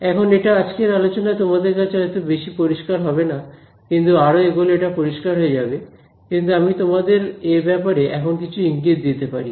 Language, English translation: Bengali, Now this may not seem very clear to you in this class, but it will become clear as we go along, but there are there are a few hints that I can give you